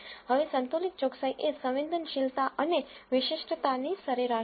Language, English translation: Gujarati, Now, balanced accuracy is the average of sensitivity and specificity